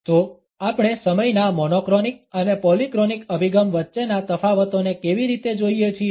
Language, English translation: Gujarati, So, how do we look at the differences between the monochronic and polychronic orientations of time